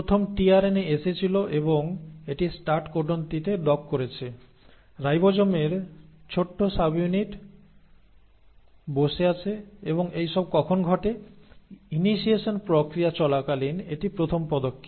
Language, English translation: Bengali, So the first tRNA has come and it has docked itself onto the start codon, the small subunit of ribosome has come in sitting, and now when this happens, this is the first step during the process of initiation